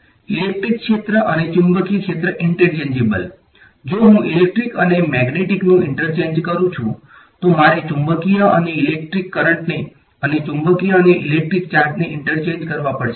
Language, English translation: Gujarati, Electric field and magnetic field are interchangeable if I interchange electric and magnetic, I have to interchange magnetic and electric currents magnetic and electric charge right